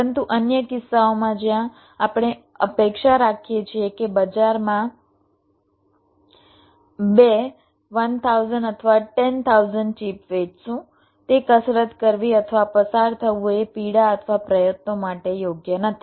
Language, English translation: Gujarati, but in other cases where we expected two cell thousand or ten thousand of the chips in the market, so doing or going through that exercise is not means worth the the pain or the effort, right